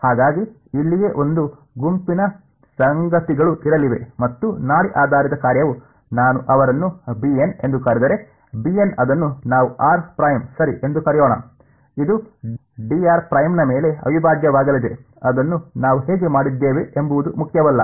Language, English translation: Kannada, And so there is there is going to be a bunch of things over here right and the pulse basis function if I call them as b n right, b n of let us call it r prime right; it is going to be some integral over a d r prime that is how we did it whatever is inside does not matter